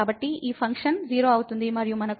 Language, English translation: Telugu, So, this function will become 0 and so, we have 0 minus 0 over delta